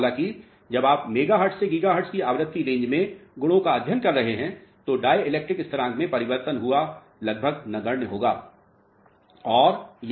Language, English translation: Hindi, However, when you are studying the properties in a frequency range of mega Hertz or giga Hertz range, the dielectric constant variation is almost negligible